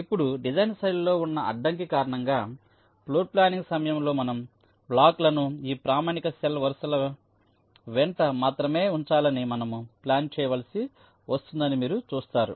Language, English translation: Telugu, you see, during floorplanning, because of the constraint in the design style, we are forced to plan our these blocks to be placed only along this standard cell rows